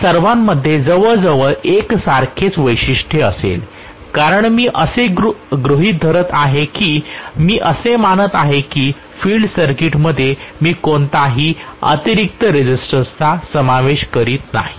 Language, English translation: Marathi, All of them are going to have almost similar characteristic because I am assuming that I am not including any extra resistance in the field circuit that is what I am assuming